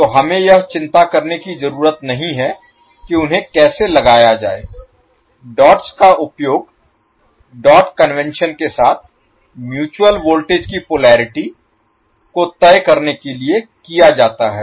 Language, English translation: Hindi, So we will not bother how to place them the dots are used along the dot convention to determine the polarity of the mutual voltage